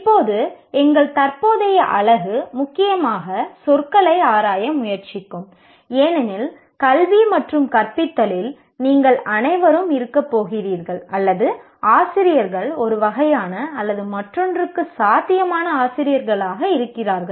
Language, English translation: Tamil, And right now, our current unit will mainly try to explore the words, education and teaching, because as all of you are going to be our teachers, or potential teachers of one kind or the other, one needs to be familiar with the terminology of that particular field